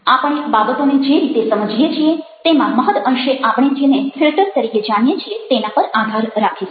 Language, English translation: Gujarati, rather, the way that we construct meanings, the way we understand things, depend to a great extent on what are known as filters